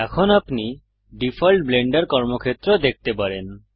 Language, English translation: Bengali, Now you can see the default Blender workspace